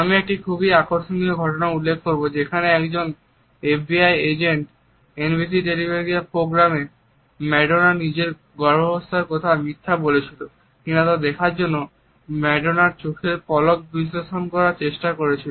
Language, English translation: Bengali, I would refer to a very interesting incident here where one FBI agent tried to analyze the eyelid fluttering of Madonna to see whether she was lying about her pregnancy on NBC television program